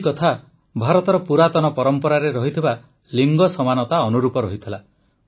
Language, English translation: Odia, This was in consonance with India's ageold tradition of Gender Equality